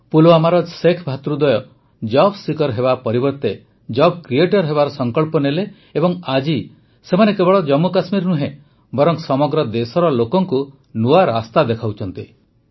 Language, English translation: Odia, The Sheikh brothers of Pulwama took a pledge to become a job creator instead of a job seeker and today they are showing a new path not only to Jammu and Kashmir, but to the people across the country as well